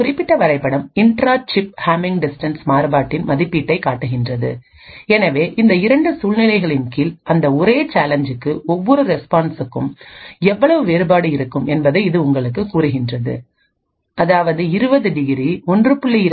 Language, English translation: Tamil, This particular graph shows the estimation of the intra chip Hamming distance variation, so it tells you how different each response looks for the same challenge under these 2 conditions; 20 degrees 1